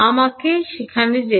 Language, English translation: Bengali, When we go in the